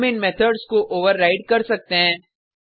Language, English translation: Hindi, We can override these methods